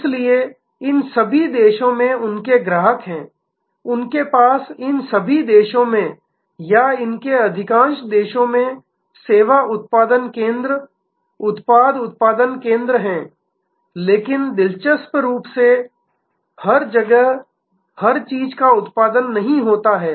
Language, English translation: Hindi, So, they have customers in all these countries, they have service production centres, product production centres in all these countries or in most of these countries, but interestingly not everything is produced in every location